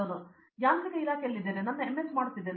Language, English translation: Kannada, I am in Mechanical Department, I am doing my MS